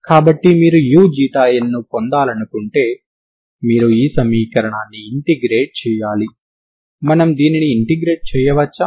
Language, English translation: Telugu, So if you want to get U Xi eta so you have to integrate this equation, can we integrate this